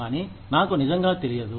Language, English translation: Telugu, But, I really do not know